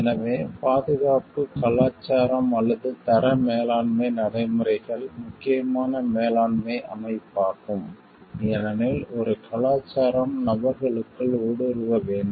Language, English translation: Tamil, So, it is not only that the safety culture, or the quality management practices these are also important management system, because a culture needs to be imbibed within the persons